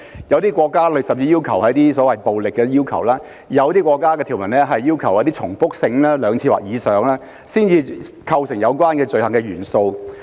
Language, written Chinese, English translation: Cantonese, 有些國家甚至要求要有暴力的元素，又有些國家講求相關行為的重複性，要有兩次或以上才構成犯罪元素。, Some countries have even included the element of violence in specified harm while some have put emphasis on the repetitive nature of the related acts to the effect that an offence element will only be satisfied when two or more such acts have been made